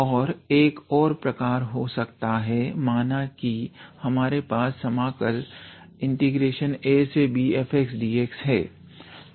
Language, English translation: Hindi, And another type would be let us say we have an interval a to b f x dx